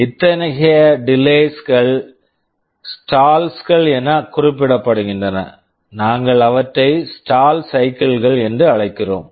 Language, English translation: Tamil, Such delays are referred to as stalls; we call them stall cycles